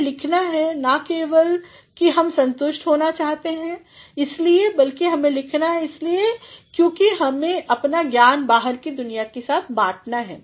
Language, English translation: Hindi, One has to write not only that one wants to be satisfied; one also has to write because one has to share his knowledge with the outside world